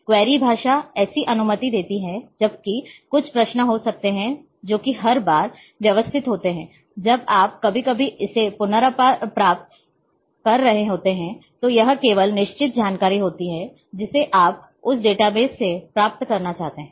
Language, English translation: Hindi, Query language allows such to allow queries whenever there might be some queries which are systematic every time you are retrieving sometimes it is just certain information you want to retrieve from that database